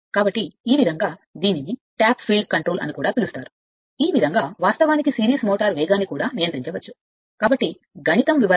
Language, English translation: Telugu, So, this way also this is called tapped field control, this way also you can control the your what you call that your control the speed of the series motor right